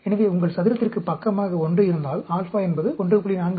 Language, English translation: Tamil, So, if your square has side of 1, then, alpha should be 1